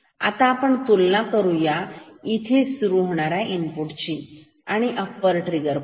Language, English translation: Marathi, Now, we will compare the input starting from here we will compare the input only with the upper trigger point